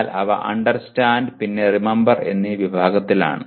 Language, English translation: Malayalam, But they are in Understand and Remember category